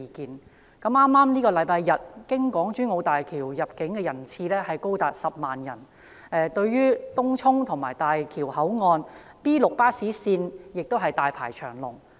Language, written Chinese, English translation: Cantonese, 在剛過去的星期天，經港珠澳大橋出入境的人次高達10萬人，來往東涌及大橋口岸的 B6 線巴士站亦大排長龍。, Last Sunday as many as 100 000 passenger trips were recorded at HZMB . There was a long queue waiting for bus Route No . B6 which runs between Tung Chung and the Bridge port